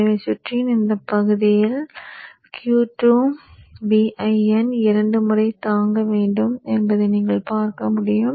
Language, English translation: Tamil, So in this portion of the circuit you will see that Q2 has to withstand 2 times VIN